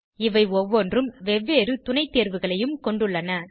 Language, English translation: Tamil, Each of these have various sub options as well